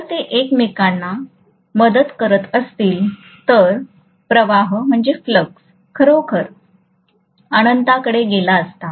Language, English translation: Marathi, If they aid each other, the flux could have really gone to infinity